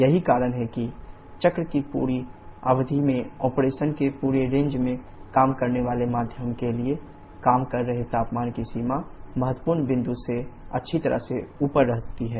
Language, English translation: Hindi, That is the working temperature limit for the working medium over the entire range of operation over the entire span of the cycle remains well above the critical point